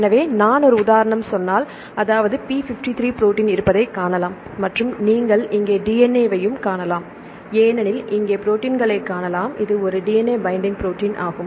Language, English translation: Tamil, So, if I say one example; this is the p53, right where you can see a protein is here and you can see DNA here this is a DNA here you can see the protein it is a DNA binding protein